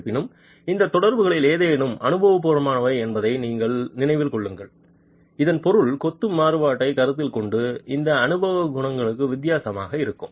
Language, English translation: Tamil, However remember that any of these correlations are empirical and which would mean given the variability of masonry these empirical coefficients can also be different